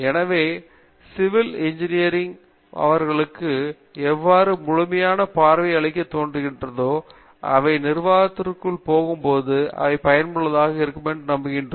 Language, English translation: Tamil, So, some how civil engineering seems to give them the holistic view, which they hope will be useful them when they go into administration